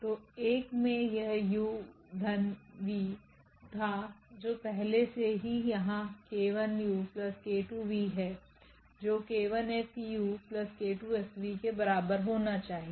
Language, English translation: Hindi, So, one was this with the addition of this u plus v which is already here that F on k 1 u plus k 2 v must be equal to F k 1 u and plus F k 2 v